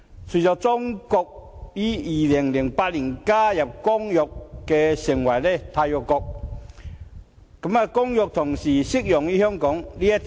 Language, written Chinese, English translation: Cantonese, 隨着中國於2008年加入《公約》成為締約國，《公約》同時適用於香港。, With China joining the Convention in 2008 as a signatory the Convention also applies to Hong Kong